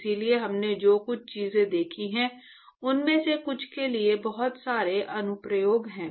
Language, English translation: Hindi, So, there is a lot of applications for some of the things that we have seen